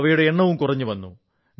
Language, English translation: Malayalam, Their number was decreasing